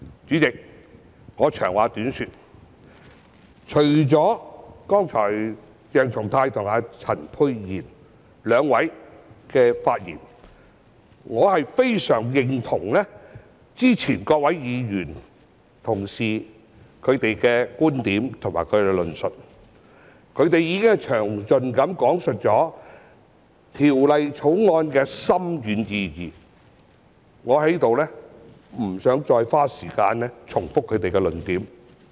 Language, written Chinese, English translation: Cantonese, 主席，我長話短說，除了剛才鄭松泰議員和陳沛然議員兩位議員的發言外，我非常認同其他議員的觀點和論述，他們已經詳盡講述《條例草案》的深遠意義，我在此不想再花時間重複他們的論點。, President to cut a long story short except for the speeches made earlier by Dr CHENG Chung - tai and Dr Pierre CHAN I very much agree with the views and remarks of other Members . They have explained in great detail the far - reaching meaning of the Bill and I do not wish to further spend time repeating their points here